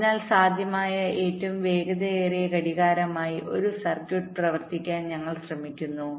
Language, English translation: Malayalam, so we are trying to run a circuit as the fastest possible clock